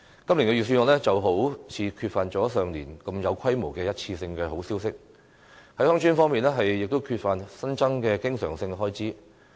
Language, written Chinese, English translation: Cantonese, 今年的預算案好像缺乏了上年度這麼有規模的一次性好消息，在鄉村方面，亦缺乏新增的經常性開支。, It seems that this years Budget has not offered such good news as providing a one - off grant of a considerable amount of money as that of last year neither has additional recurrent expenditure been provided for villages